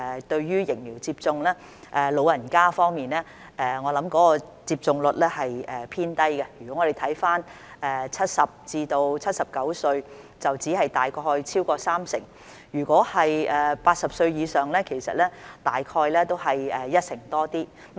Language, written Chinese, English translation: Cantonese, 對於疫苗接種，在老人家方面，我想有關接種率是偏低的，我們看看70至79歲人士的接種率，只是超過約三成；如果是80歲以上，其實接種率都只是一成多。, Regarding vaccination I think the vaccination rate among the elderly is on the low side . We can see that the vaccination rate among people aged 70 to 79 is just over 30 % while the vaccination rate among those over 80 years old is actually just over 10 %